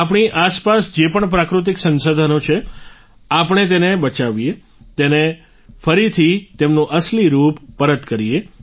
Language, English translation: Gujarati, Whatever natural resources are around us, we should save them, bring them back to their actual form